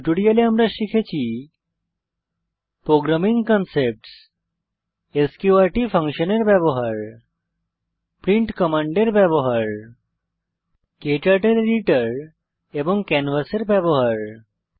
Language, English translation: Bengali, In this tutorial, we have learnt Programming concepts Use of sqrt function Use of print command Using KTurtle editor and canvas